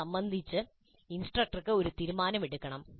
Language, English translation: Malayalam, Instructor has to make a choice regarding this